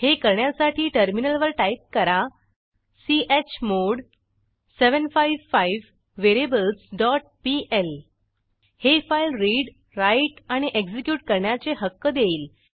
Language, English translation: Marathi, To do so, on the Terminal type, chmod 755 variables dot pl This will provide read, write amp execute rights to the file